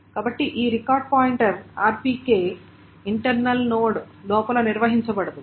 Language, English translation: Telugu, So this record pointer is not maintained inside the internal node